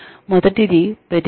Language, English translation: Telugu, The first is reaction